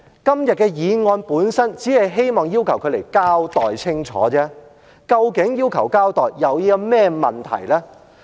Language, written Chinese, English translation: Cantonese, 今天的議案本身只希望要求她來交代清楚，究竟要求交代有甚麼問題呢？, Todays motion itself only asks her for a clear explanation . What is the problem with asking for an explanation?